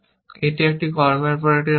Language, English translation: Bengali, This is a state after action one